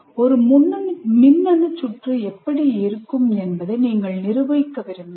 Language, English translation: Tamil, For example, I can look at an electronic circuit